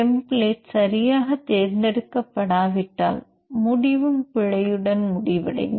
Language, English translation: Tamil, If template is not chosen properly the result will also be ended up with error